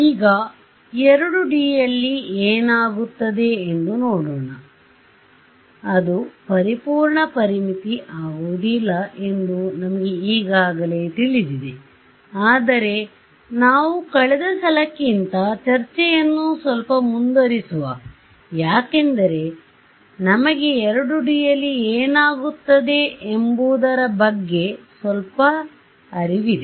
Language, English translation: Kannada, Now, let us see what happens in 2D, we already know what will happen actually, it will not be a perfect boundary condition but, let us make the let us take a discussion little bit further than last time and see and do you have some control over it ok